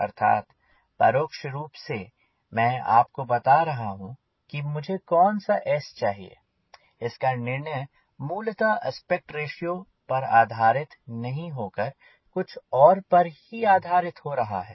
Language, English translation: Hindi, i am telling you the decision what s i need to have is not dependent on primarily on aspect ratio, is depending on something else